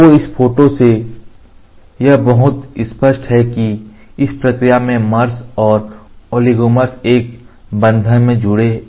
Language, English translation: Hindi, So, it is very clear from this diagram the mers and the oligomer joins together by a bond by this process